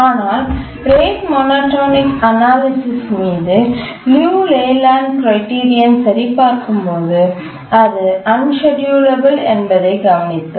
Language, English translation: Tamil, So, you can check the Leland criterion for the rate monotonic analysis, we find that it is unschedulable